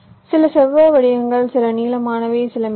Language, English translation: Tamil, some are rectangular, some are long, some are thin